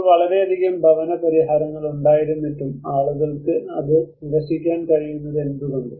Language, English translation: Malayalam, Now despite of having so many housing solutions but why people are able to reject it